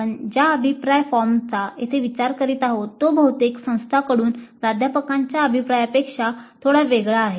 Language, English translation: Marathi, The feedback form that we are considering here is slightly different from the feedback that most of the institutes do get regarding the faculty